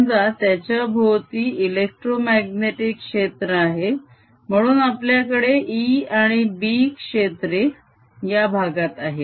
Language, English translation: Marathi, let an electromagnetic field exist around it so that we have e field and b field in this region